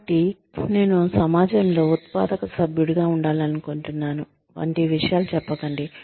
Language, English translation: Telugu, So, do not say things like, I would like to be a productive member of society